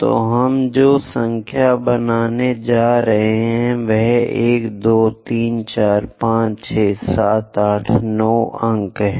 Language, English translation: Hindi, So, the numbers what we are going to make is 1, 2, 3, 4, 5, 6, 7, 8, 9 points